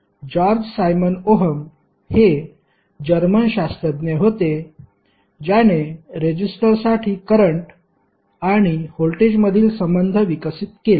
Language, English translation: Marathi, George Simon Ohm was the German physicist who developed the relationship between current and voltage for a resistor